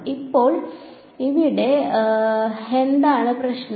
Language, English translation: Malayalam, So, what is the physical problem over here